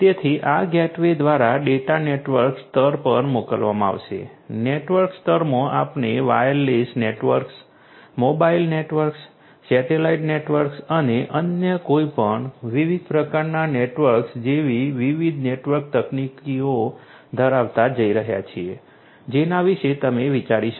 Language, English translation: Gujarati, In the network layer we are going to have different different network technologies such as wireless networks, mobile networks, satellite networks and any other different type of network that you can think of